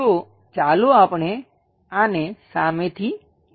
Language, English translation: Gujarati, So, let us look at this from the front view